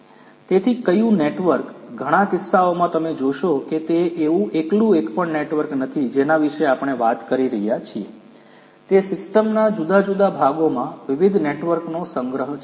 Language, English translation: Gujarati, So, which network many many cases you will find that it is not a single network that we are talking about, it is a collection of different different networks in the different parts of the system